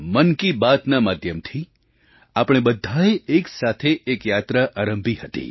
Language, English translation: Gujarati, The medium of 'Mann Ki Baat' has promoted many a mass revolution